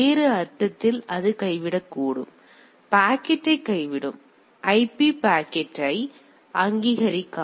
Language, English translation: Tamil, In other sense it may drop; it will drop the packet it will not recognise the IP packet